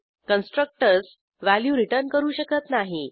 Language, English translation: Marathi, Constructors cannot return values